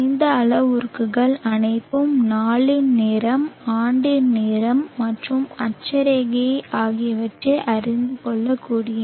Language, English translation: Tamil, All these parameters are determinable knowing the time of the day, time of the year and the latitude